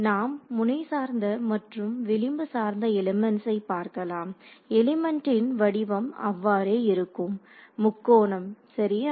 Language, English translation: Tamil, So, edge based elements and we will we will look at both node based and edge based elements, the element shape remains the same so, triangle ok